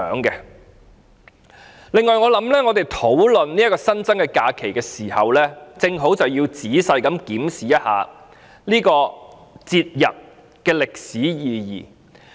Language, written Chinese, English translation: Cantonese, 此外，我想我們討論這個新增假期時，也要仔細檢視一下這個節日的歷史意義。, When we discuss this additional holiday I think we should also examine the historical significance of this commemorative day carefully